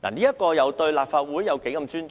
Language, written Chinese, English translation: Cantonese, 此舉對立法會有欠尊重。, The move is a disrespect for the Legislative Council